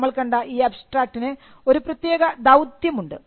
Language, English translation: Malayalam, Now, the abstract we had seen has a particular function